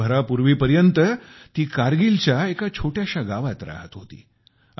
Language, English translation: Marathi, Until a year ago, she was living in a small village in Kargil